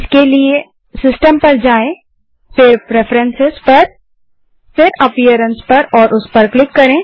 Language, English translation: Hindi, For that go to System gtPreferences gtAppearance